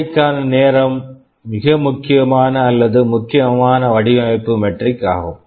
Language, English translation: Tamil, Time to market is a very important or crucial design metric